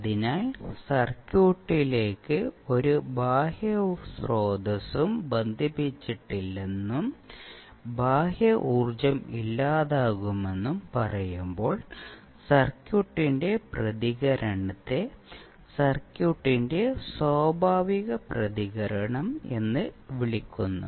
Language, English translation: Malayalam, So, when we say that there is no external source connected to the circuit, and the eternal energy is dissipated the response of the circuit is called natural response of the circuit